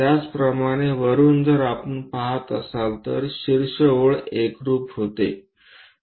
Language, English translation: Marathi, Similarly, from top if we are looking, that top line coincides